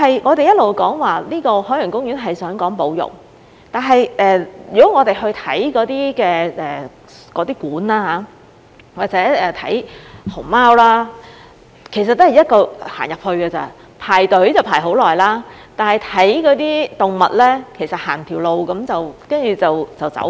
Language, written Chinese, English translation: Cantonese, 我們一直說海洋公園是講保育，但我們去參觀那些展館或者看熊貓，其實只是一進一出而已，排隊要排很長時間，但看動物其實走完一條路便要離開了。, We have always said that OP attaches importance to conservation . But when we visited the exhibit facilities or went to see the pandas we actually just went inside and then came out of the place almost instantly . We had to queue up for a long time but the viewing of animals was actually just a walk down a path and we had to leave as soon as we came to the end of it